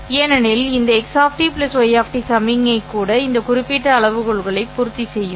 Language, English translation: Tamil, Because even this x of t plus y of t signal will satisfy this particular criteria